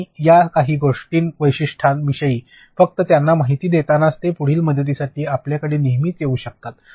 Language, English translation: Marathi, And in just briefing them about these few features are there, they can always come to you for further help